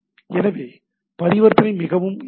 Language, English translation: Tamil, So the transaction is pretty simple